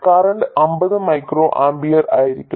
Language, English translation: Malayalam, The current will be 50 microamper